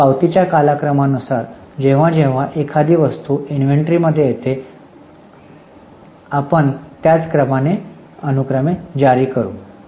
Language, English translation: Marathi, So, as per the chronology of the receipts, whenever an item has come in the inventory, we will issue it in the same sequence